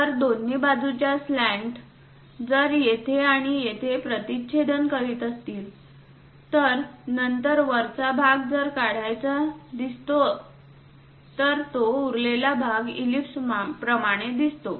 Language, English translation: Marathi, So, on both sides of the slant, if it is going to intersect here and here; then the top portion if we are going to remove it, the remaining leftover portion we see it like an ellipse